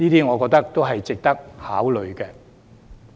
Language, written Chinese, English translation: Cantonese, 我覺得這些都是值得考慮的。, I think all of these are worth considering